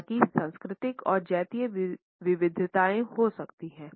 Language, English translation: Hindi, However, there may be cultural and ethnic variations